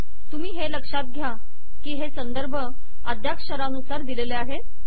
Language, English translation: Marathi, Note that these references are also listed alphabetically